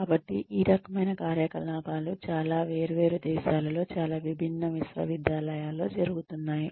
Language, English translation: Telugu, And, so, this kind of activity is going on, in a lot of different countries, in a lot of different universities, why are we doing all this